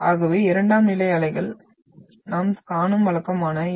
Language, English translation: Tamil, So this is the typical of what we see the primary, sorry secondary waves